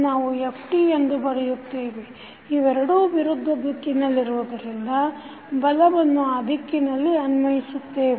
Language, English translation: Kannada, We can write f t, so that is the force which is applying in this direction since these two are in the opposite direction